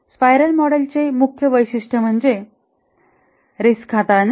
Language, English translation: Marathi, The main feature of the spiral model is risk handling